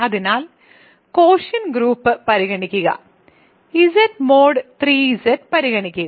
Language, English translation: Malayalam, So, consider the quotient group; so, consider the quotient group Z mod 3 Z